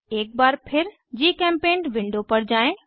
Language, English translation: Hindi, Let us switch to GChemPaint window again